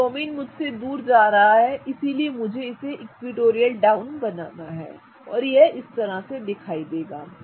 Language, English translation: Hindi, So, bromine is going away from me so I need to draw it equatorial down and that is what it will look like